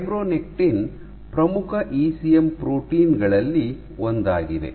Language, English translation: Kannada, So, fibronectin is one of the most important ECM proteins